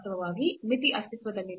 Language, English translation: Kannada, In fact, the limit does not exist